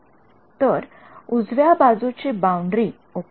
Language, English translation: Marathi, So, right hand side boundary ok